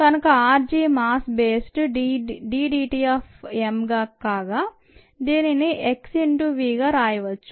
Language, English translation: Telugu, so r g on a mass basis is d d t of m, which can be written as x into v